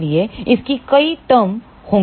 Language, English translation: Hindi, So, that will have several terms